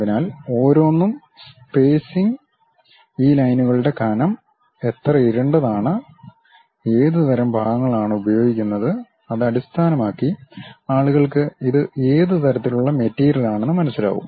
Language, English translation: Malayalam, So, each one based on the spacing, the thickness of this lines, how much darken we use, what kind of portions we use; based on that people will understand what kind of material it is